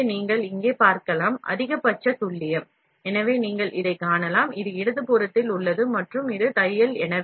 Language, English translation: Tamil, So, you can see here, maximum precision, so you can see it, this on the left hand side and this is stitching